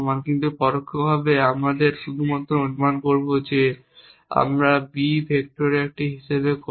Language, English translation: Bengali, But implicitly we will just assume that we will as a vector of a b and so on